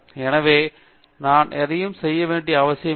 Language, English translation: Tamil, So, I donÕt have to do anything with that